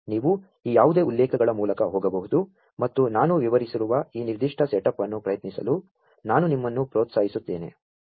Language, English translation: Kannada, You could go through any of these references, and I would encourage you to try out this particular setup, that I have just explained